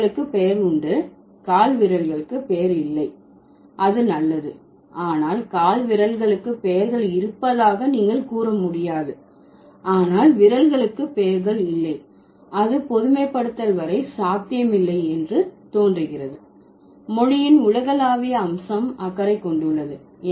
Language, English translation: Tamil, But you cannot say, you can say fingers have names, toes don't have known, that's fine, but you can't say toes have names but fingers don't have, that doesn't seem to be possible as far as generalization or universal feature of language is concerned, right